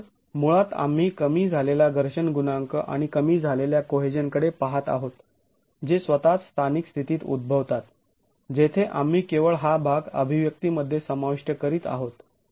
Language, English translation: Marathi, So basically we are looking at a sort of a reduced friction coefficient and a reduced cohesion that occurs in that local state itself where we are just introducing this part into the expression